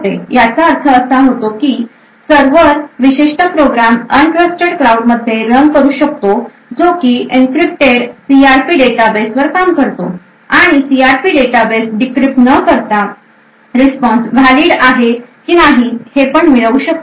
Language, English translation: Marathi, This means that the server could actually run a particular program in this un trusted cloud which works on the encrypted CRP database and would be able to actually obtain weather the response is in fact valid or not valid even without decrypting the CRP database